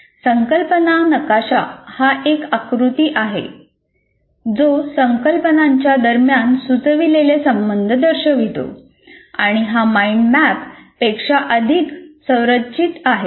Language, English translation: Marathi, The concept map is a diagram that depicts suggested relations between concepts and it is more structured than a mind map